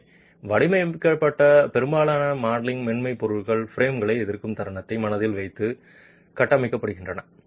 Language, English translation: Tamil, So, most modeling software are designed, are configured keeping in mind moment resisting frames